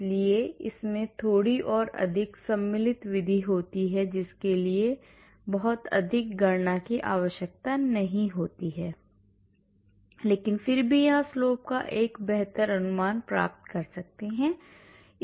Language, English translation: Hindi, so there are more slightly more involved method which does not require too much calculation but still can get a better approximation of the slope here